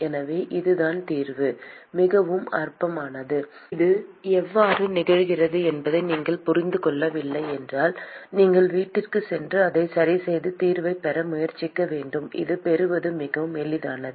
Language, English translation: Tamil, So that is the solution very trivial if you did not understand how this comes about, you should go home and try to work it out and get the solution very easy to get this